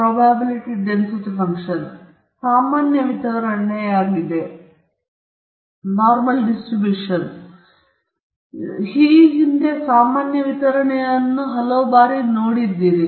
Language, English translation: Kannada, This is the normal distribution; you might have come across this normal distribution several times in the past